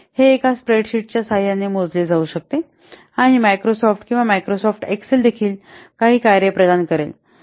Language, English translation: Marathi, It can be calculated using a spreadsheet and also Microsoft Excel, it provides some functions